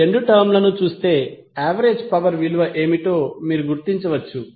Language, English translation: Telugu, You can just simply look at these two term, you can identify what would be the value of average power